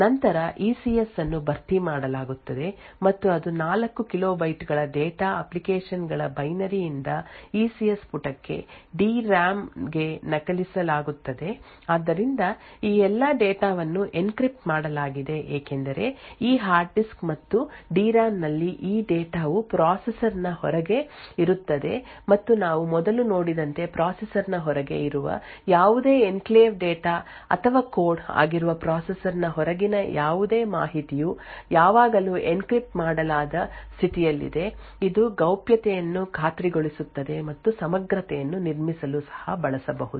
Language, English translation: Kannada, Then the ECS is filled and that is 4 kilo bytes of data which is copied from the hard disk that is from the applications binary to the ECS page that is to the DRAM so note that all of these data encrypted because this data present in this hard disk as well as the DRAM is present outside the processor and as we have seen before any information outside the processor which is any enclave data or code present outside the processor is always in an encrypted state this ensures confidentiality and could also be used to build integrity